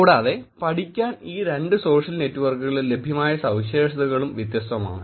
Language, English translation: Malayalam, And, the features that are available in these two social networks to study are also different